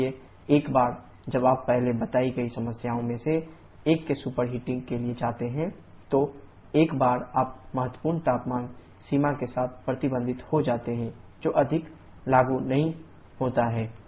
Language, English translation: Hindi, So, once you go for the superheating one of the earlier problems that have mentioned, once you are restricted with the critical temperature limit that is no more applicable